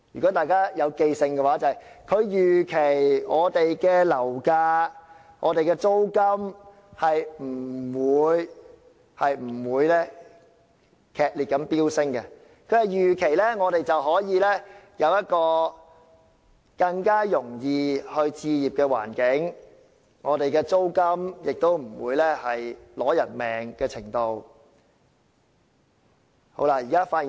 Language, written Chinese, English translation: Cantonese, 大家應該還記得，他說他預期樓價和租金不會劇烈飆升，我們可以有一個更容易置業的環境，租金亦不會達至要命的程度。, As Members should recall he said that he expected property prices and rents to not surge drastically that we could have the conditions to make home ownership easier and that rents would not be excruciating